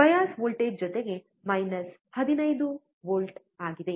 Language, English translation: Kannada, Bias voltage is plus minus 15 volt